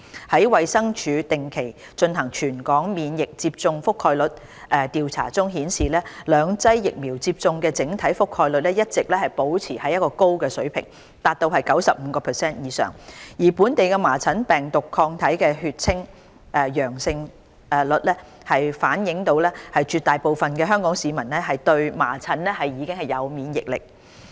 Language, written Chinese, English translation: Cantonese, 在衞生署定期進行全港免疫接種覆蓋調查中顯示，兩劑疫苗接種的整體覆蓋率一直保持在高水平，達到 95% 以上，而本地麻疹病毒抗體的血清陽性率反映絕大部分香港市民對麻疹已有免疫力。, As revealed by the findings of the territory - wide immunization surveys regularly conducted by the Department of Health the two - dose vaccination coverage has been consistently maintained at well above 95 % and the local seroprevalence rates of measles virus antibodies reflect that most of the people in Hong Kong are immune to measles